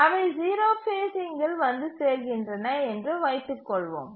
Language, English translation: Tamil, And let's assume that they arrive at zero phasing